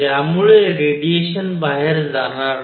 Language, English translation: Marathi, So, that the radiation does not go out